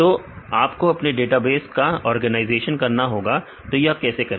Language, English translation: Hindi, So, you have to make the organization organization of your database how to do that